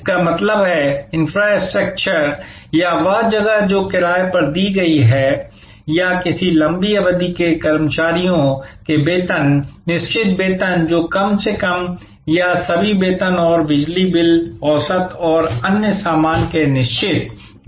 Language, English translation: Hindi, That means, the infrastructure or the place that has been rented or the salaries of a long term employees, fixed salaries which are not or at least the fixed component of all salaries and electricity bill, average and other stuff